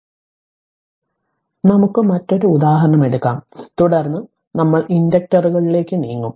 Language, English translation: Malayalam, So, we will take another example, then we will move to the inductors right